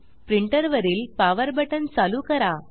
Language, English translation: Marathi, Switch on the power button on the printer